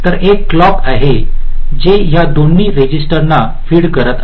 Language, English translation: Marathi, so there is a clock which is feeding both this registers